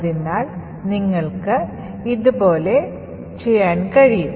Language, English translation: Malayalam, terminal, so you could do it like this